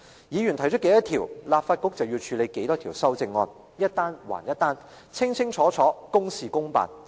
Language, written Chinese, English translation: Cantonese, 議員提出多少項修正案，立法局便要處理多少項修正案，一單還一單，清清楚楚，公事公辦。, Whenever Members put forward amendments the Legislative Council would deal with them one by one with certainty under the established procedures